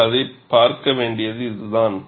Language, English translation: Tamil, This is the way we will look at it